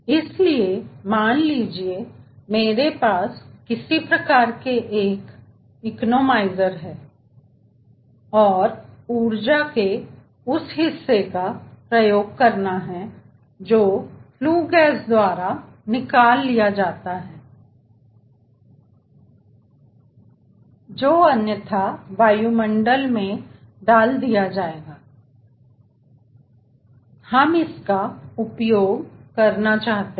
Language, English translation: Hindi, so suppose, if i plan to have some sort of a, an economizer, and like to utilize part of the energy which is taken away by the flue gas which will be otherwise released to the atmosphere, we want to utilize it